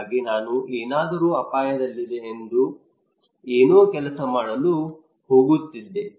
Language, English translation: Kannada, So something is I am at risk something is going to work